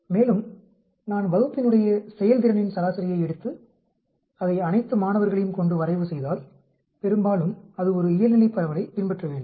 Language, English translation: Tamil, And if I take the average performance of the class and plot it with that of all the students, mostly it should follow a normal distribution